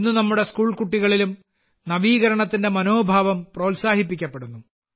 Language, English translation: Malayalam, Today the spirit of innovation is being promoted among our school children as well